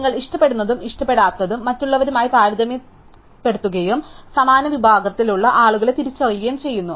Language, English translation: Malayalam, It compares what you likes and do not like with others and identifies the similar category of people